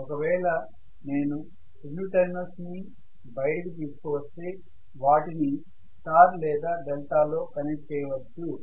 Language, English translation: Telugu, If I bring out both the terminals out I should be able to connect them in either star or delta not a problem